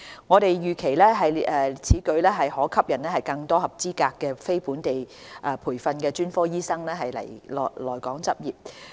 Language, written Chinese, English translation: Cantonese, 我們預期此舉將可吸引更多合資格的非本地培訓專科醫生來港執業。, We expect that this will attract more qualified non - locally trained specialists to practise in Hong Kong